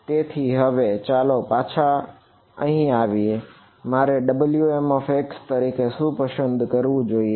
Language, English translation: Gujarati, So, let us come back to this now what so, what should I choose W m x as